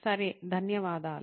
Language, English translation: Telugu, Okay, Thank you